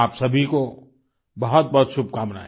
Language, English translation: Hindi, My best wishes to all of you